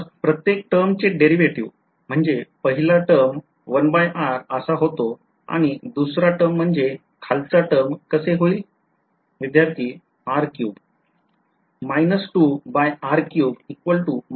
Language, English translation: Marathi, So, derivative of each term so first term will become 1 by r; second term will I mean the term in the bottom will become minus 2 by